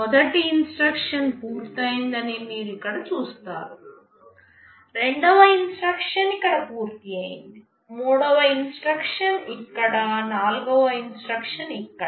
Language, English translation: Telugu, You see here first instruction is finished; second instruction was finished here, third instruction here, fourth instruction here